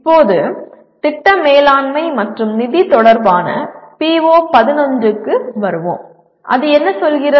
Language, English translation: Tamil, Now coming to PO11 which is related to project management and finance, what does it say